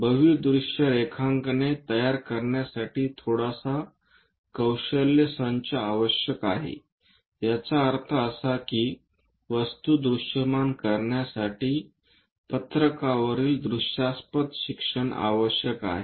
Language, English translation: Marathi, To construct multi view drawings a slight skill set is required that means, training to visual the object represent that visual on to the sheet requires slight infusion